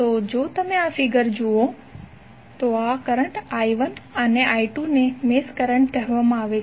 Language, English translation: Gujarati, So if you see in this figure, these currents I1 and I2 are called as mesh currents